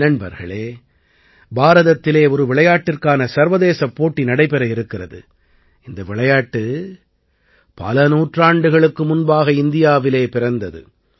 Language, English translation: Tamil, Friends, there is going to be an international tournament of a game which was born centuries ago in our own country…in India